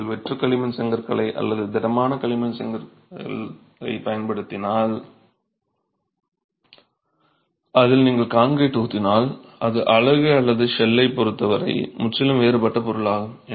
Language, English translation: Tamil, If you are using hollow clay bricks or if you are using solid clay blocks and you have cavities in which you are pouring concrete, it is completely different a material with respect to the unit or the shell